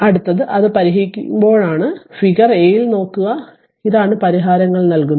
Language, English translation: Malayalam, That next is you when you solve it look from figure a that is all this things solutions are given to you right